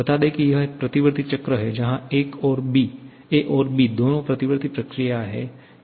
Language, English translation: Hindi, Let us say this is a reversible cycle that is both a and b are reversible processes